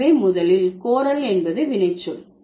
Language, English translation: Tamil, So, to begin with solicit is a verb